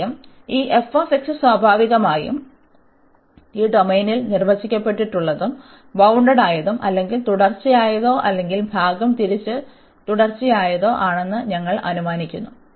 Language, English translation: Malayalam, And first we assume that this f x naturally is as defined and bounded or discontinuous or piecewise continuous in this domain